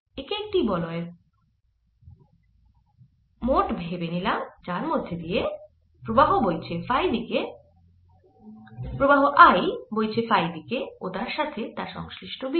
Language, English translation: Bengali, make this similar to a ring with current i going around in the phi direction and the corresponding b